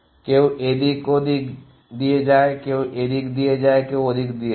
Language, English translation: Bengali, Some goes this way some goes this way some goes this way some go that